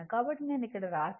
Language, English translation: Telugu, So, that is what I have written here